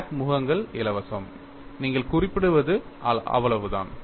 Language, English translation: Tamil, The crack phases are free, that is all you specify